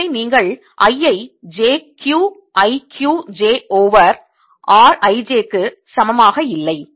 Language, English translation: Tamil, i not equal to j, q i q j over r I j